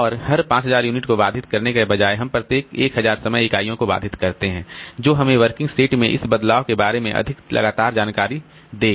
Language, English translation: Hindi, And instead of interrupting every 5,000 unit, we interrupt every 1,000 time units, that will give us more frequent information about this change in the working set